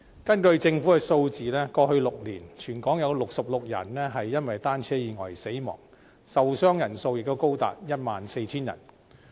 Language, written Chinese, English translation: Cantonese, 根據政府的數字，過去6年，全港有66人因單車意外死亡，受傷人數也高達 14,000 人。, The Governments statistics show that over the past six years bicycle accidents claimed the lives of 66 people in Hong Kong and as many as 14 000 people were injured